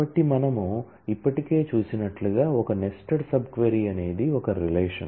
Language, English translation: Telugu, So, as we have already seen a nested sub query is a relation